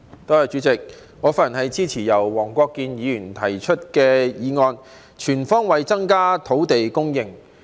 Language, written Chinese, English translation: Cantonese, 代理主席，我發言支持由黃國健議員提出的"全方位增加土地供應"議案。, Deputy President I speak in support of Mr WONG Kwok - kins motion on Increasing land supply on all fronts